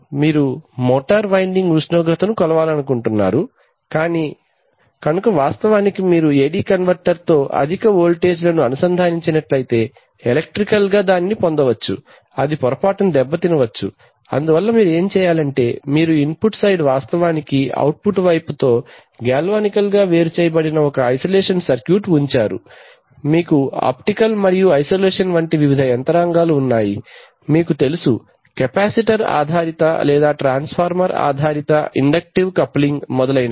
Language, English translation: Telugu, If they are coming from let us say a motor winding suppose you want to measure a motor winding temperature, so it's not, in fact if you connect such high voltages to the AD converter electrically it might, it will get, it might get damaged, so therefore what you do is, you put an isolation circuit such that the input side is actually galvanically isolated with the output side, you have various mechanisms of isolation like optical like, you know, capacitor based or transfer transformer based inductive coupling etcetera